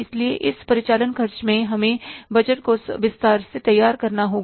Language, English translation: Hindi, So, in this operating expenses we have to prepare the budget in detail